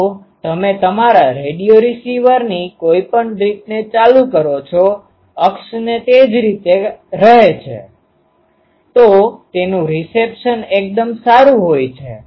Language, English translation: Gujarati, So, whatever way you turn your radio receiver the axis is same; so, its reception is quite good